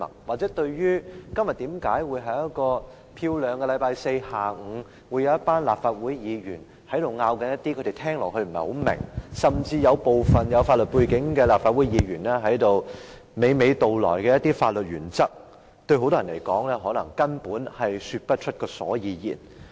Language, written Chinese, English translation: Cantonese, 或者，很多人對於在今天這個明媚的星期四下午，一群立法會議員所爭論的事宜，甚至是部分有法律背景的立法會議員娓娓道來的一些法律原則，他們聽起來不太明白，根本說不出所以然。, Perhaps many cannot even put their fingers on what this group of Legislative Council Members are arguing about in this beautiful Thursday afternoon or what legal principles so volubly stated by some Members with legal background are involved